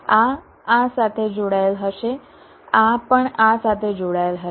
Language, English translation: Gujarati, this will be connected to this